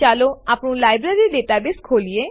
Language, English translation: Gujarati, Lets open our Library database